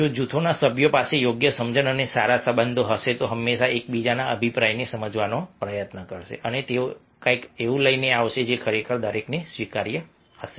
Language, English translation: Gujarati, if the group members have having a proper understanding and good relationship, they will always try to understand each others opinion and they will come up with something which is really very much acceptable to everybody